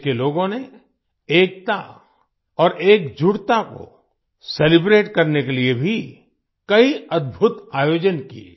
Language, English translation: Hindi, The people of the country also organized many amazing events to celebrate unity and togetherness